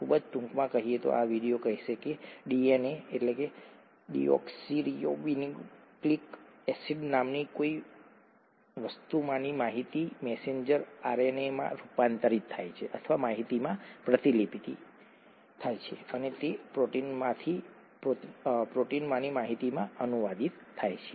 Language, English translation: Gujarati, Very briefly speaking, this video will say that the information in something called the DNA, deoxyribonucleic acid, gets converted or transcribed to the information in the messenger RNA and that gets translated to the information in the proteins